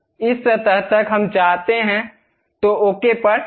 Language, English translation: Hindi, Up to this surface we would like to have, then click ok